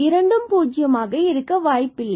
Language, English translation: Tamil, In the situation when both are 0